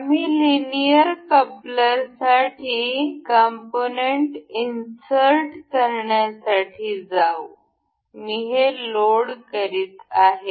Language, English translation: Marathi, We will go to insert components for linear coupler; I am loading